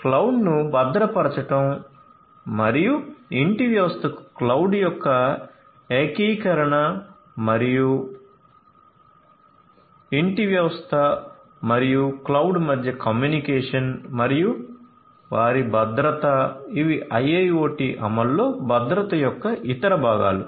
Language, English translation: Telugu, So, securing the cloud and ensuring the integration of the cloud to the home system and the communication between the home system and the cloud and their security these are also different different other components of security in IIoT implementation